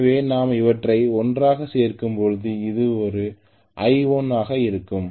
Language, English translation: Tamil, So when I add them together this is going to be my I1